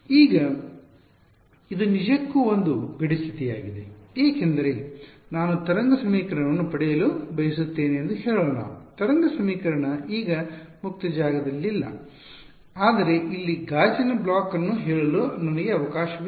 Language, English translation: Kannada, Now this actually turns out to be a boundary condition because let us say that I have I want to get a wave equation the solution to the wave equation now not in free space, but I have a let us say a block of glass over here